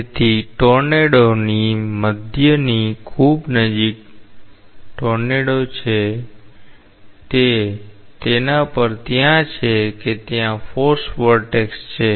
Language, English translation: Gujarati, So, a tornado very close to the eye of the tornado, it is up to that it is a force vortex